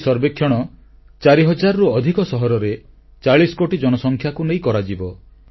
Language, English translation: Odia, This survey will cover a population of more than 40 crores in more than four thousand cities